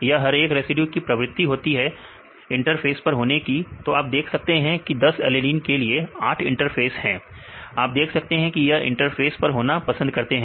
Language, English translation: Hindi, This is the tendency of each residues to be at the interface right then you can see for 10 alanine, all the 8 are in the interface, you can see that they prefer to be at the interface